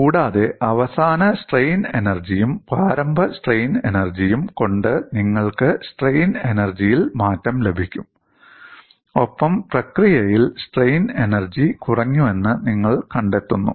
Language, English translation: Malayalam, We find out what is the final strain energy; then, we look at what is the initial strain energy, and the difference in strain energy is seen